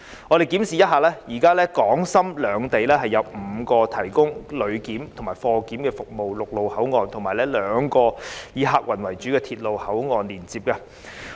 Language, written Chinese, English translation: Cantonese, 我們檢視一下，現在港深兩地有5個提供旅檢和貨檢服務的陸路口岸，以及兩個以客運為主的鐵路口岸連接。, We have checked that at present there are five land boundary control points providing passenger and cargo clearance services and two passenger - based railway control points